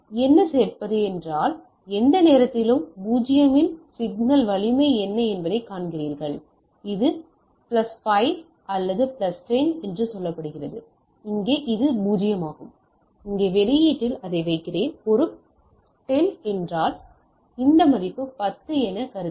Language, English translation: Tamil, So, what does add means, that any point of time you see that what is the signal strength at 0, here it is say plus 5 or plus 10, here it is also 0, so the I in my output here I put this as a 10 if this value I if we consider as 10